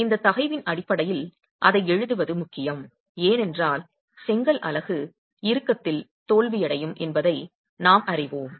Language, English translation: Tamil, It's important to be able to write it in terms of that stress because we know that the brick unit will fail in tension